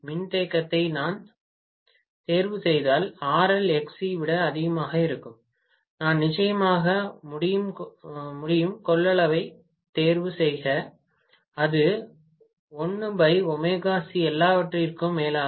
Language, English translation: Tamil, If I choose the capacitance is such a way that RL is much much higher than XC, I can definitely choose the capacitance, it is 1 by omega C after all